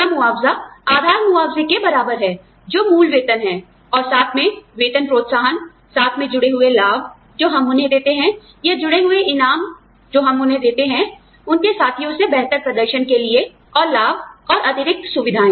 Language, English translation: Hindi, Total compensation equals base compensation, which is the basic salary, plus the pay systems, sorry, the pay incentives, plus added benefits, we give to them, or, added rewards, we give to them, for performing better than, their peers, and benefits, the perquisites